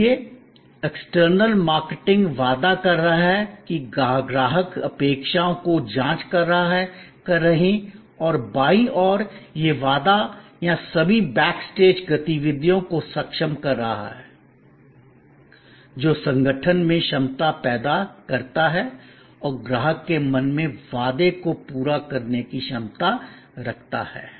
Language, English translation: Hindi, So, the external marketing is making the promise are calibrating the customer expectation and on the left hand side it is enabling the promise or all the back stage activities, that creates the capability and competence for the organization to meet or go beyond the promise in the customers mind